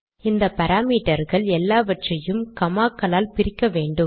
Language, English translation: Tamil, So all the parameters here are to be included separated by commas